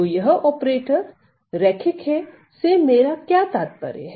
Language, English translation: Hindi, So, what do I mean by the operator being linear